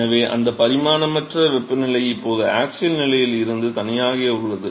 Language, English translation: Tamil, So, that dimensionless temperature is now independent of the axial position